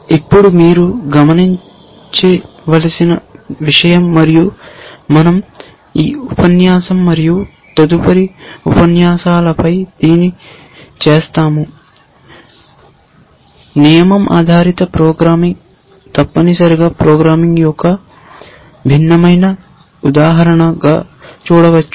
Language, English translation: Telugu, Now, the thing for you to observe and we will do this over the next, this lecture and the next is that rule based programming can be seen as a different paradigm of programming in itself essentially